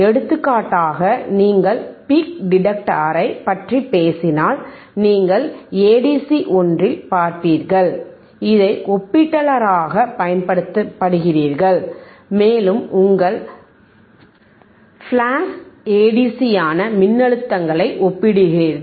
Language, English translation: Tamil, For example, if you talk about peak detector, you will seen in one of the one of the a ADCs, you to use this as comparator and you are comparing the voltages which is ayour flash Aa DC